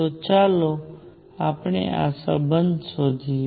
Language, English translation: Gujarati, So, let us find this relationship